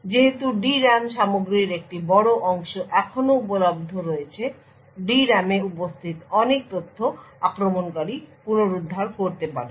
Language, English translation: Bengali, Since a large portion of the D RAM content is still available a lot of information present in the D RAM can be retrieved by the attacker